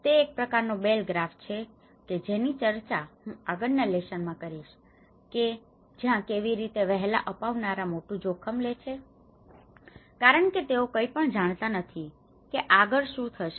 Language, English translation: Gujarati, It is a kind of Bell graph, which I will discuss in the further lesson where how the early adopter he takes a high risk because he does not know anything what is going to happen next